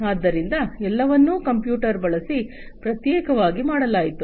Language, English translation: Kannada, So, everything was done separately using computers